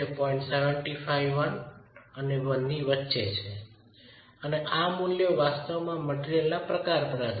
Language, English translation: Gujarati, 75 and 1 and these are values that will actually depend on the type of material